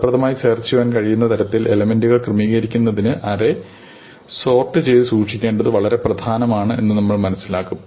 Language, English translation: Malayalam, And in the process we will realize that it is important to be able to sort the array efficiently in order to arrange the elements in a way where we can search in an effective manner